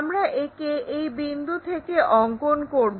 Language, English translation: Bengali, It is rotated about this point